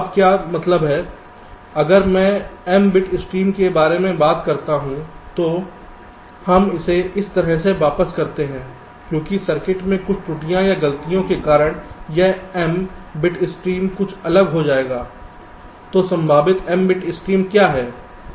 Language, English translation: Hindi, if i talk about m bit stream we revert it like this: because of some error or fault in the circuit, this m bit stream will become something different